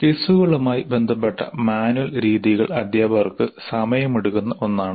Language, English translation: Malayalam, The manual methods associated with quizzes can be time consuming to teachers